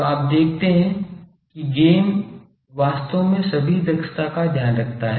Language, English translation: Hindi, So, you see that gain actually takes care of all this efficiencies